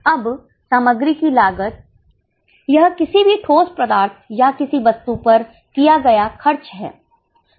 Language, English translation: Hindi, This is the cost incurred on any tangible substance or a thing